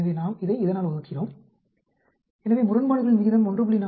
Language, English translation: Tamil, So, we divide this by this, so odd ratio comes out to be 1